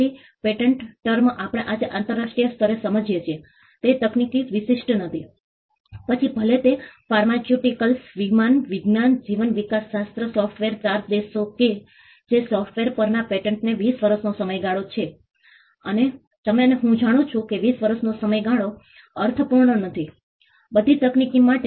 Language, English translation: Gujarati, So, patents term as we understand it today internationally is not technology specific, whether it is pharmaceuticals aeronautics biotechnology software the 4 countries which grand patents on software it is a 20 year period and you and I know that 20 year period does not make sense for all technology